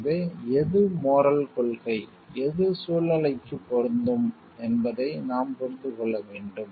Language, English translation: Tamil, So, then we have to understand which is the moral principle which is applicable to the situation